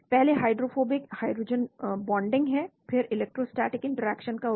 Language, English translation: Hindi, first is the hydrophobic hydrogen bonding, then make use of electrostatic interaction